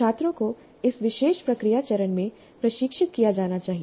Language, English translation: Hindi, The students must be trained in this particular process step